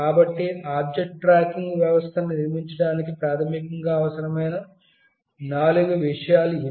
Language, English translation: Telugu, So, these are the four things that are required basically to build the object tracking system